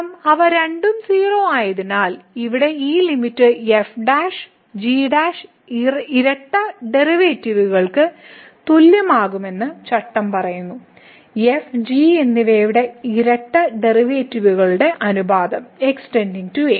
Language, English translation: Malayalam, Because they both are and then the rule says that this limit here prime prime will be equal to the double derivatives, the ratio of the double derivatives of and as goes to